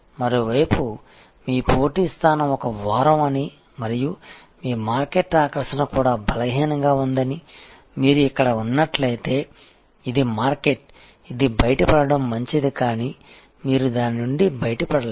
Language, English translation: Telugu, On the other hand, if you are here that your competitive position is rather week and your market attractiveness is also weak this is a market, which is better to get out of, but may be you cannot get out of it